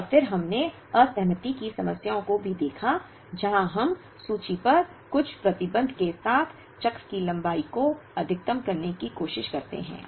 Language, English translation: Hindi, And then we also looked at the disaggregation problems, where we try to maximize the cycle length with certain restriction on the inventory